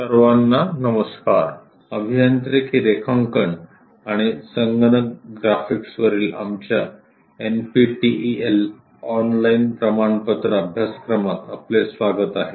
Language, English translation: Marathi, Hello all, welcome to our NPTEL Online Certification Courses on Engineering Drawing and Computer Graphics